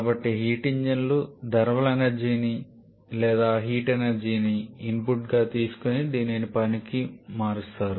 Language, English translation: Telugu, So, heat engines are a device which takes thermal energy or heat as the input and converts this to work